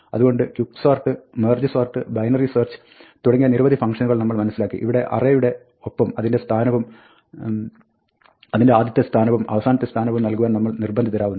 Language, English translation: Malayalam, So, we saw various functions like Quick sort and Merge sort and Binary search, where we were forced to pass along with the array the starting position and the ending position